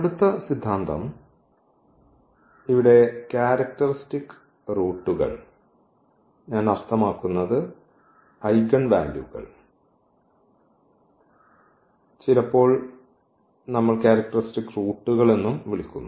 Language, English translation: Malayalam, Next theorem, so here the characteristic roots I mean the eigenvalues so sometimes we also call the characteristic roots